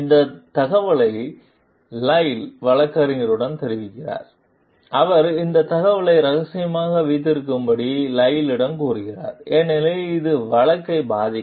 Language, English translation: Tamil, Lyle reports this information with attorney who tells Lyle to keep this information confidential because it could affect the lawsuit